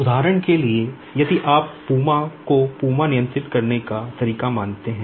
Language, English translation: Hindi, For example, say if you consider the PUMA the way we control PUMA